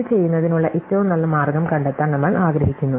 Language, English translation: Malayalam, So, we want to find the optimum way to do this